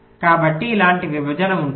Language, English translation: Telugu, so there will be a partition like this